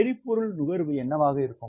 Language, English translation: Tamil, what is the fuel consumption